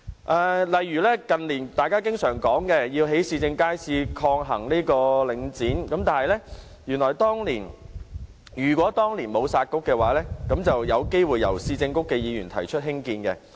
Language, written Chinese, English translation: Cantonese, 舉例來說，近年大家常說要興建市政街市，抗衡領展，如果當年沒有"殺局"的話，原來是有機會由市政局的議員提出興建建議。, For example recently we often ask for the construction of new public markets to counter the dominance of Link REIT . Had the two Municipal Councils not been scrapped the construction of new markets might have been raised by their members